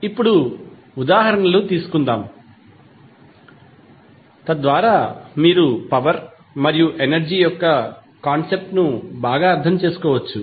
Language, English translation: Telugu, Now, let us take examples so that you can better understand the concept of power and energy